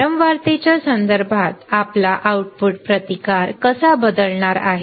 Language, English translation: Marathi, With respect to frequency, with respect to frequency how your output resistance is going to change